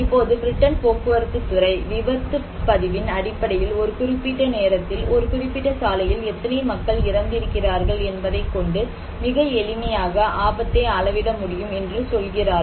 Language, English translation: Tamil, Now, Britain Department of Transport, they are saying that yes we can measure the risk, it is very simple, we can measure it based on casualty record, how many people are dying in a particular time and a particular road